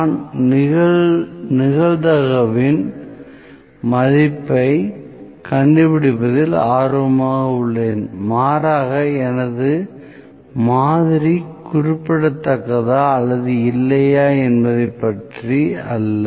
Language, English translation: Tamil, I am interested in finding the value of the probability rather is my sample significant or not